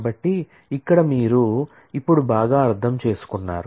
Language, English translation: Telugu, So, here you have now understood it very well